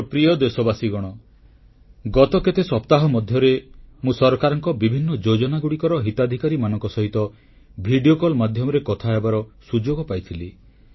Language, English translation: Odia, During the past few weeks, I had the opportunity to interact with the beneficiaries of different schemes of government through video call